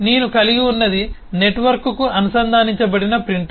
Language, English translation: Telugu, so i have what i have is a printer which is connected to the network